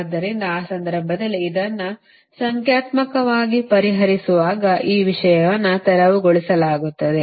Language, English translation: Kannada, so in that case, when i will solve this one, a numerical, then this thing will be cleared